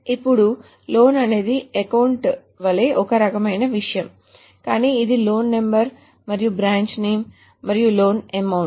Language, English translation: Telugu, Now loan is about a same kind of thing like an account, but it's a loan number and a branch name and the amount of the loan